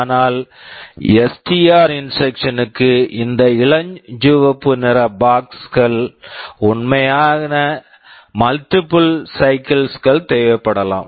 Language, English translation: Tamil, But for STR instruction what might happen that this pink colored box can actually require multiple cycles